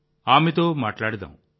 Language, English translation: Telugu, Let's speak to her